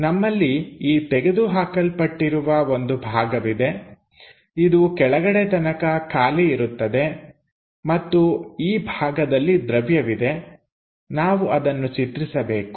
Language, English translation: Kannada, So, we have this removed portion which goes all the way down and this is the material portion we would like to draw it